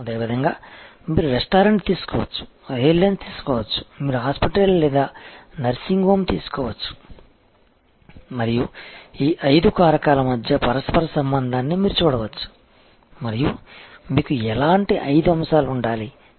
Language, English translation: Telugu, Similarly, you can take up a restaurant, you can take up and airlines, you can take up a hospital or nursing home and you can actually see the correlation between these five factors and what kind of five elements that will you have to